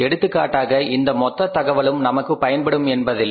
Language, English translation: Tamil, For example in this total information all the information may not be of our use